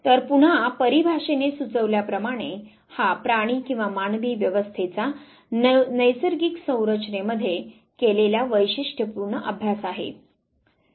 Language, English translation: Marathi, So, again as the suggest this is the systematic study of animal or human behavior in natural setting